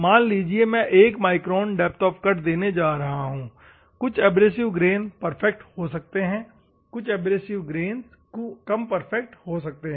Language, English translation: Hindi, Assume that I am going to give 1 micron, some of the abrasive grains may be perfect; some of the abrasive grains may be less